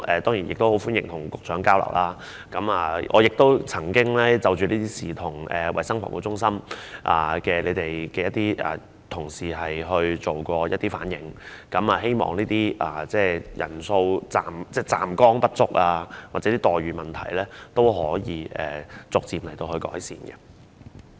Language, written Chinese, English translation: Cantonese, 當然，我希望可以與局長交流詳細情況，而我亦曾就此向衞生防護中心的同事反映，希望站崗人數不足或待遇差異的問題可以逐漸改善。, Certainly I wish to have an exchange with the Secretary on the details . I have also relayed this matter to the officers of the Centre for Health Protection hoping that the shortage of staff stationed at the posts and the difference in remunerations can be gradually improved